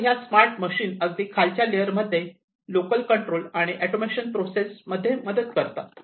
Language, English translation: Marathi, So, these smart machines at the lowest layer will help in local control and automation processes